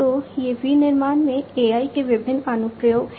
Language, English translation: Hindi, So, these are the different, you know, applications of AI in manufacturing